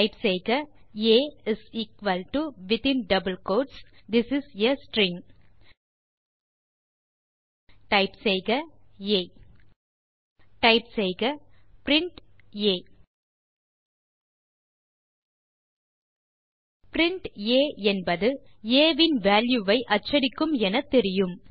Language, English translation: Tamil, Type a = within double quotes This is a string Type a Type print a obviously, print a , prints the value of a